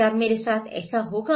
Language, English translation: Hindi, What, will it happen to me